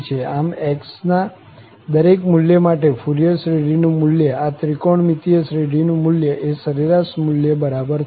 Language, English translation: Gujarati, So, for each value of x, the value of the Fourier series, value of this trigonometric series will be equal to the average value